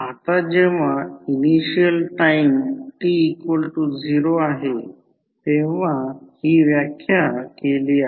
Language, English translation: Marathi, Now, this what we have defined when initial time is defined time t is equal to 0